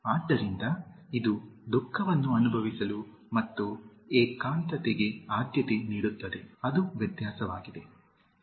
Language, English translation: Kannada, So, it also amounts to feel sad and preferring solitude, that is the difference